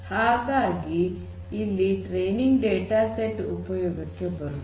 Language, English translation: Kannada, So, that is where this training data set becomes useful